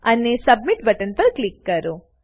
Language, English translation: Gujarati, And Click on Submit button